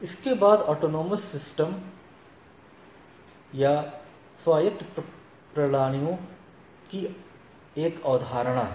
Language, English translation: Hindi, Now, we will see subsequently there is a concept of autonomous systems